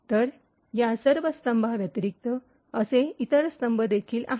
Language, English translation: Marathi, So, in addition to all of these columns, there are other columns like this